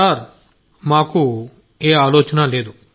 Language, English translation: Telugu, Sir, that doesn't bother us